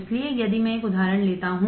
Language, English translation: Hindi, So, if I take an example